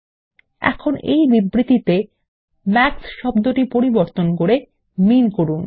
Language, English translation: Bengali, Now, lets replace the term MAX in the statement with MIN